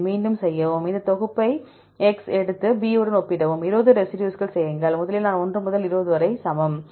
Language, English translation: Tamil, Repeat the same, take the same comp and compare with B, do it for 20 residues, i equal to 1 to 20 right